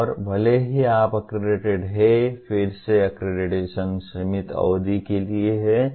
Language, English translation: Hindi, And even if you are accredited, again the accreditation is for a limited period